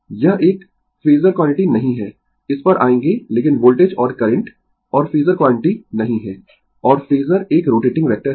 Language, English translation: Hindi, We will come to that ah why it is not a phasor quantity, but voltage and current and phasor quantity, and phasor is a rotating vector, right